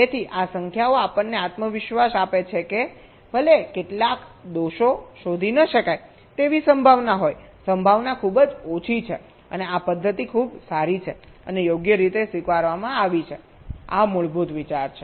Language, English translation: Gujarati, so these numbers give us a confidence that even if there is a chance of some fault getting undetected, the probability is very, very low and this method is pretty good and accepted